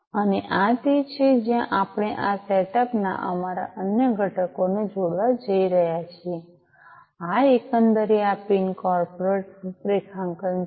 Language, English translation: Gujarati, And this is where we are going to connect our other components of this setup, this is this pin corporate configuration overall